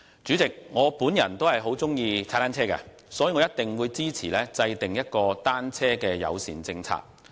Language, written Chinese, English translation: Cantonese, 主席，我也很喜歡踏單車，所以，我一定支持制訂單車友善的政策。, President I like cycling too so I will definitely support formulating a bicycle - friendly policy